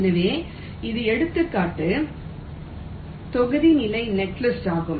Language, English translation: Tamil, so this was the example block level netlist